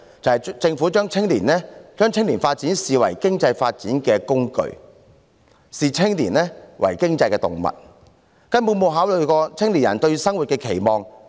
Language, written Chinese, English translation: Cantonese, 便是政府將青年發展視為經濟發展的工具，視青年為經濟動物，根本沒有考慮過青年人對生活的期望。, The problem lies in the fact that the Government regards youth development as the tool for economic development regards young people as economic animals and has never considered the expectations of young people for their lives